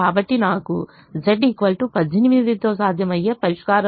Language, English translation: Telugu, so i have a feasible solution with z equal to eighteen